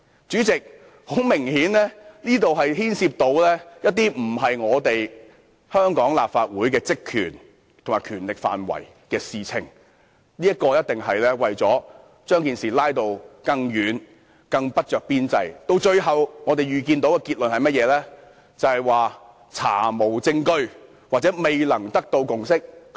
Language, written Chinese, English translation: Cantonese, 主席，這很明顯牽涉香港立法會的職權範圍以外的事宜。他的建議不着邊際，他最後想得到的結果是否查無證據或未達共識？, President as his proposal was irrelevant obviously involving matters outside the remit of the Legislative Council of Hong Kong did he actually wish to arrive at the conclusion that no evidence could be collected or no consensus could be reached?